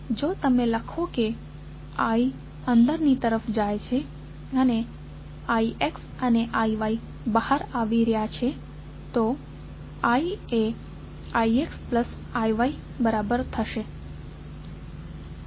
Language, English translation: Gujarati, So, if you write I is going in I X and I Y are coming out, so I would be equal to I X plus I Y